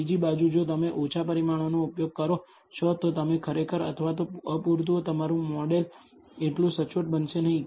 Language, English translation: Gujarati, On the other hand, if you use less parameters, you actually or not sufficiently your model is not going to be that accurate